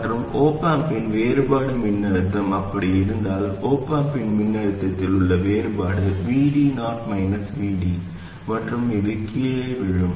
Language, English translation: Tamil, And the difference voltage of the op amp, if the signs of the op amp were like that, the difference of the op amp is V D 0 minus V D and this will fall down